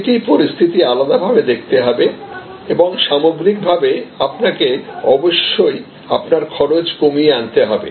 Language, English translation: Bengali, So, one will have to look at each individual situation and, but overall you must continuously lower your cost